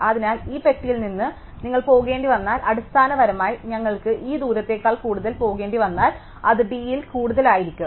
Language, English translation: Malayalam, So, if you have to go from this box basically if we have to go more than this distance away, then it will be more than d away